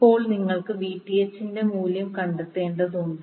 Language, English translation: Malayalam, Now, you need to find the value of Vth